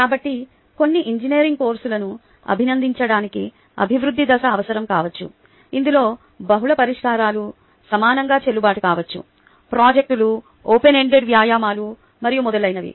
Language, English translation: Telugu, so the stage of development may be necessary to appreciate some engineering courses in which multiple solutions may be equally valid, for example projects, open ended exercises and so on, so forth